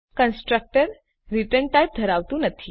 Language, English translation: Gujarati, Constructor does not have a return type